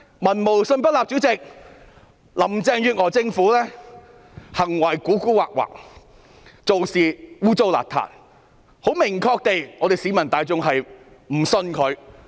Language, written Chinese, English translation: Cantonese, 民無信不立，林鄭月娥政府的行為狡猾，做事骯髒，市民很明確地表示不信任她。, A government cannot govern without the trust of the people . The Carrie LAM administration acts guilefully and adopts dirty tactics . The public have unequivocally expressed their distrust in her